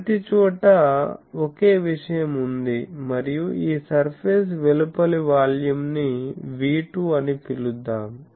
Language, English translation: Telugu, So, everywhere there are the same thing and this outside volume, outside of the surface let me call V2